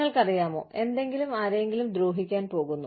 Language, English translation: Malayalam, You know, something is going to harm, somebody